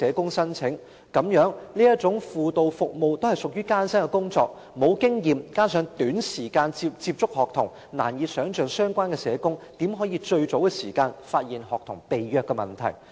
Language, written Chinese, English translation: Cantonese, 其實這種輔導服務屬於艱辛的工作，相關社工沒有經驗加上只有短時間接觸學童，難以想象他們如何能及早發現學童被虐的問題。, In fact such counselling work is a difficult task . It is difficult to imagine how inexperienced social workers who only have limited time to get in touch with students can identify abuse of students in a timely manner